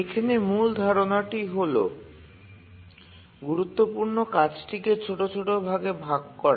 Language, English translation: Bengali, The main idea here is that we divide the critical task into smaller subtasks